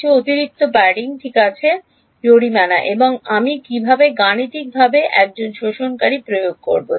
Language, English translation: Bengali, Put some extra padding all right fine and what how do I implement mathematically an absorber